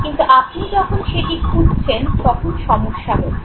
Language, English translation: Bengali, But when you search for it you have all types of problems